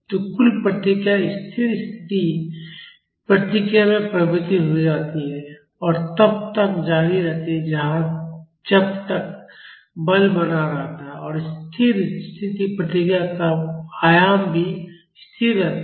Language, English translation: Hindi, So, the total response converges to the steady state response and continues as long as the force remains and the amplitude of the steady state response is also constant